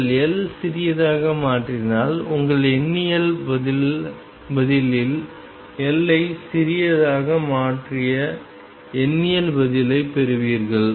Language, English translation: Tamil, If you make L smaller and let us say in your numerical answer you made getting the numerical answer you have made L smaller